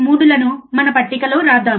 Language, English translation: Telugu, 3 in our table